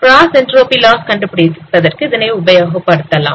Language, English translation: Tamil, Use this, you can use it for the cross entropy loss